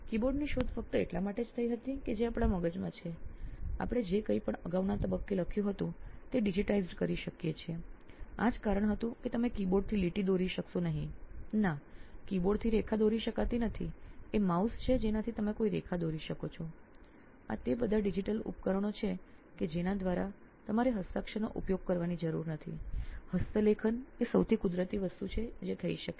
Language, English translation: Gujarati, the keyboard was invented just because what we had in mind, whatever we had written down at an earlier point that could be digitised, that was the reason why keyboard came into existence, it was not because you could draw line with the keyboard, no you cannot draw line with the keyboard, it is with the mouse that you can draw a line, these are all digital devices through which you have you do not have to use handwriting, handwriting is the most natural thing that can happen